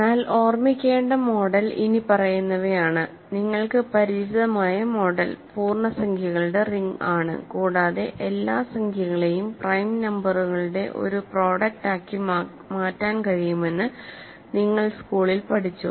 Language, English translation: Malayalam, But the model to keep in mind is the following is the model that you are familiar with is the ring of integers and in school you all learned that every integer can be factored into a product of prime numbers